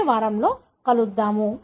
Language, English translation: Telugu, We will see you in the next week